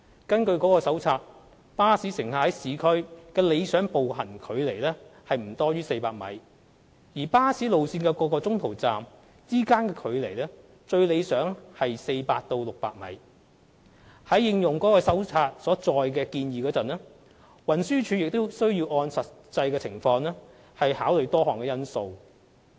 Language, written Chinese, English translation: Cantonese, 根據該手冊，巴士乘客在市區的理想步行距離為不多於400米，而巴士路線各中途站之間的最理想距離為400米至600米。在應用該手冊所載的建議時，運輸署亦需按實際情況考慮多項因素。, According to the Manual the ideal walking distance between two bus stops in urban area should be within 400 m while the distance between en - route bus stops would preferably be 400 m to 600 m In adopting the suggestions in the Manual TD will also need to take into account a host of factors in the light of the actual circumstances